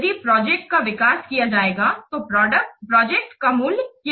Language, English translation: Hindi, If the project will be developed, what will the value of the project